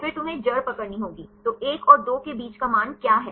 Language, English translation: Hindi, Then you have to take the root; so what is the value between 1 and 2